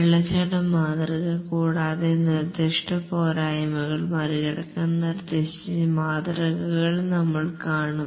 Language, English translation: Malayalam, Waterfall model and we'll see the models that have been proposed to overcome the specific shortcomings of the waterfall based models